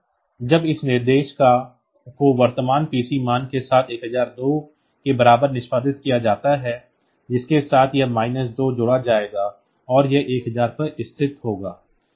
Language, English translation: Hindi, So, that when this instruction is executed with the current PC value is 1002 with that this minus 2 will be added and it will be going to location 1000